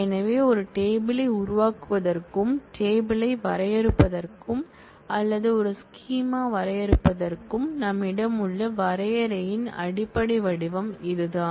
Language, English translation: Tamil, So, this is the basic form of definition that we have for creating a table, defining a table or defining a schema